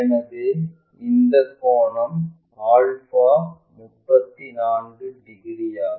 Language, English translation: Tamil, So, this angle alpha is 34 degrees